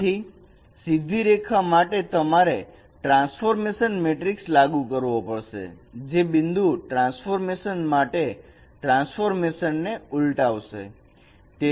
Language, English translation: Gujarati, So the relationship is that for straight line we have to apply the transformation matrix which is transpose of the inverse of the transformation matrix for point transformation